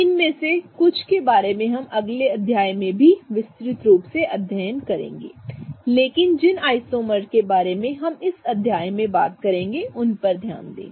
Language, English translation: Hindi, Some of these we will elaborately study in the next chapter as well but pay attention to the kind of isomers that we'll talk about in this chapter